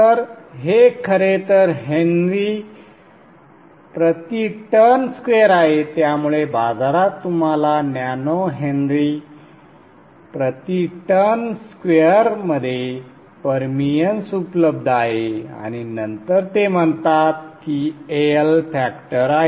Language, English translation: Marathi, So in the market, what is available to you is the permians in nano Henry per turn square and then they call that one as the AL factor